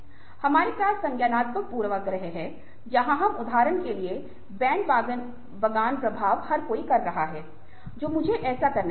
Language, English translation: Hindi, ok, we have cognitive biases where we, for instances, ah, the bandwagon effect, everybody is doing it